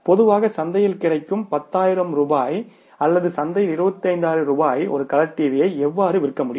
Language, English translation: Tamil, So, how you can sell a color TV for 10,000 rupees in the market which is normally available for 25,000 in the market